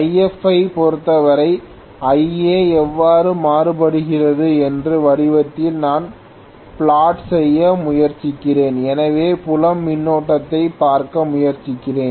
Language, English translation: Tamil, And this if I try to plot in the form of how Ia varies with respect to rather Ia varies with respect to If, so I am trying to look at the field current